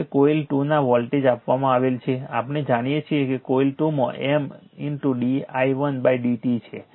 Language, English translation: Gujarati, Now voltage of coil 2 is given by, we know that in coil 2 M into d i 1 upon d t